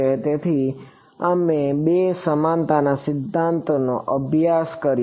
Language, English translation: Gujarati, So, we studied two equivalence principles